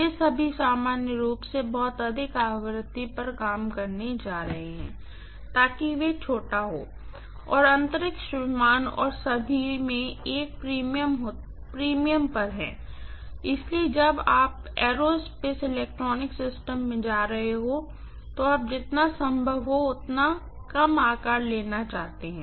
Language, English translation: Hindi, All of them are going to work normally at much higher frequency so that they are miniaturized, and space is at a premium in aircraft and all, so you want to reduce the size as much as possible when you are going to aerospace electronics systems